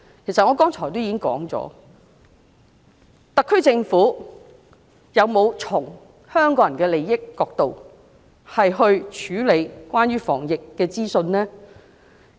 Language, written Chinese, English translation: Cantonese, 其實，我剛才已經提到，特區政府有否從香港人利益的角度，處理關於防疫的資訊呢？, In fact as I have said earlier has the SAR Government handled the anti - epidemic information from the perspective of Hong Kong peoples interests?